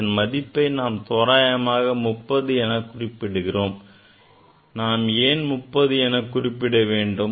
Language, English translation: Tamil, So, this we are writing approximately 30, why we are writing 30, why not 33